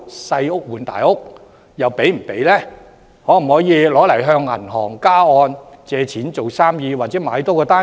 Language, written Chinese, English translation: Cantonese, 相關物業可否用以向銀行加按借貸來做生意，或多購置一個單位？, Can the employees use the properties concerned to approach banks for arrangements of top - up mortgage loans to do business or acquire another flat?